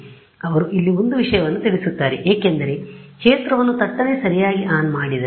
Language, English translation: Kannada, So, they make a point here that because, they turned on the field abruptly right